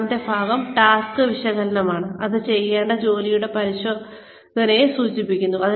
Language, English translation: Malayalam, The second part is task analysis, which refers to the examination of the job, to be performed